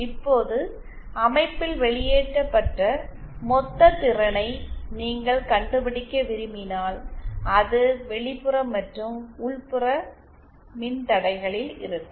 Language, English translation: Tamil, Now, if you want to find out the total power dissipated in the system, that is both in the external as well as internal resistances